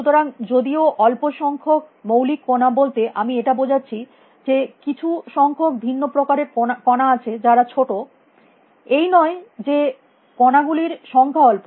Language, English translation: Bengali, So, whereas a small number of fundamental particles I mean there is a number of different particles are small; it is not that the number of particles is small